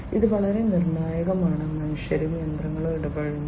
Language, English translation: Malayalam, This is very critical, humans and machines interacting